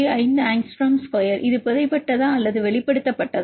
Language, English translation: Tamil, 5 angstrom square this buried or exposed